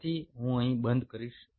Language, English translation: Gujarati, so i will close in here